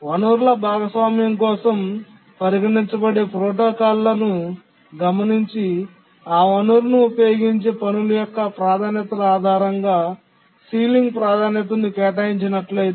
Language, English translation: Telugu, But if you look at the protocols that we considered for resource sharing, we assign ceiling priority based on the priorities of the tasks that use that resource